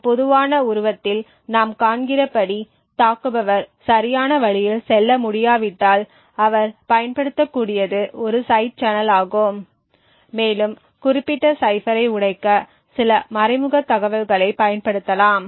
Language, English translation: Tamil, As we see in this very common figure is that if an attacker cannot go through the right way then what he could possibly use is a side channel and use some indirect information to actually break the specific cipher